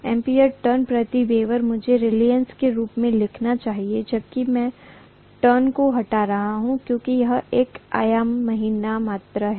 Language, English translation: Hindi, Ampere turn per weber I should write as the reluctance whereas I am removing the turn because it is a dimensionless quantity